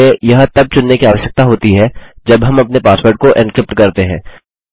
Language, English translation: Hindi, We get to choose this when we encrypt our password